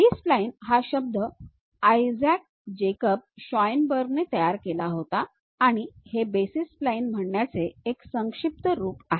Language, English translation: Marathi, The term B spline was coined by Isaac Jacob Schoenberg and it is a short representation of saying basis spline